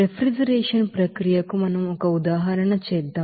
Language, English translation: Telugu, Now let us do an example for refrigeration process